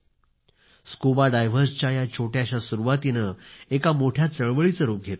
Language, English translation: Marathi, This small beginning by the divers is being transformed into a big mission